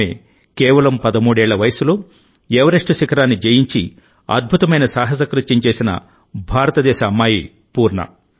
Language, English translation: Telugu, Poorna is the same daughter of India who had accomplished the amazing feat of done a conquering Mount Everest at the age of just 13